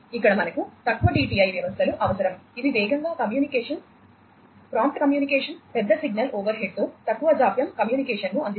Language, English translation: Telugu, So, here we need shorter TTI systems which will provide you know quite faster communication, prompt communication, low latency communication with larger signal overhead